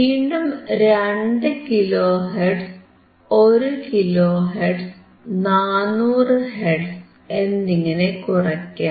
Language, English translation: Malayalam, So, let us change to 2 kilo hertz, 1 kilo hertz, 1 kilo hertz, 400 hertz, ok